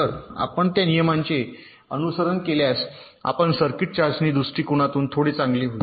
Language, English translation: Marathi, so if you follow those rules, then your circuit will be a little better from the testing point of view